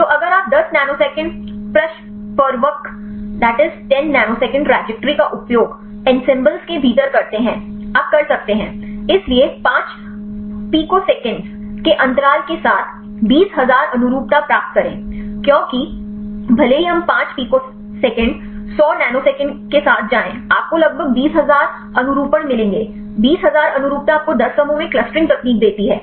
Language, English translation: Hindi, So, if you use the 10 nanosecond trajectory within ensembles; you can, so get the 20000 conformations with the interval of 5 picoseconds because even if we 5 picoseconds go with the 100 nanoseconds; you will get about 20000 conformations; 20000 conformations gives you the clustering techniques in 10 clusters